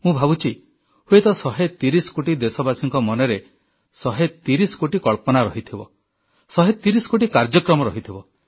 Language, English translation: Odia, And I do believe that perhaps 130 crore countrymen are endowed with 130 crore ideas & there could be 130 crore endeavours